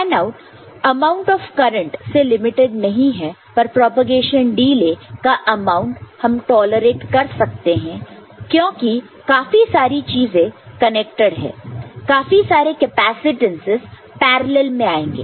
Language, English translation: Hindi, The fanout is not limited by amount of current, but the propagation delay amount of propagation delay we can tolerate and because more such things connected, more such capacitances will come in parallel